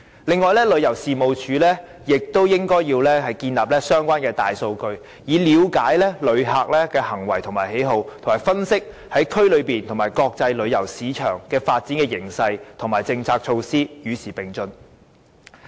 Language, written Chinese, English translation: Cantonese, 此外，旅遊事務署亦應建立相關的大數據，以了解旅客的行為和喜好，並分析區內和國際旅遊市場的發展形勢和政策措施，與時並進。, Furthermore TC should establish big data for relevant issues to understand the behaviour and preference of visitors and to analyse the development trend policies and measures within the region and in the global tourism market so as to keep abreast of the times